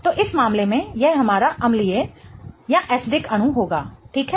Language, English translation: Hindi, So, in this case this will be our acidic molecule